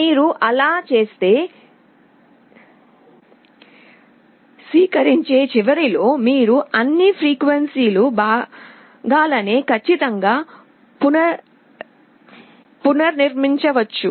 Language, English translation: Telugu, If you do that, then at the receiving end you can reconstruct all the frequency components accurately